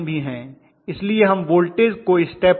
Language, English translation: Hindi, So we are going to step it up